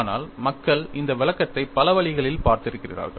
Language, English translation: Tamil, But people also have looked at this interpretation in many different ways